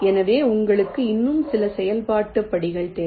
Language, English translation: Tamil, so you need some more iterative steps